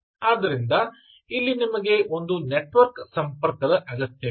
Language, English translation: Kannada, you need a network connection